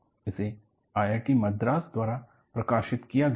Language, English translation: Hindi, This was published by IIT Madras